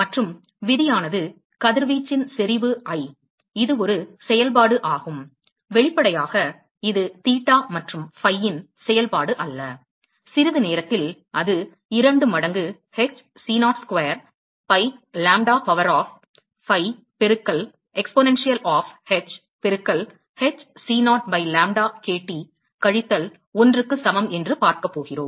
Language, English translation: Tamil, And the law is, the radiation intensity I, which is a function of; obviously, it is not a function of theta and phi, we are going to see that in a short while, and that is equal to 2 times h c0 square by, lambda to the power of phi, into exponential of h into h c0 by lambda kT minus 1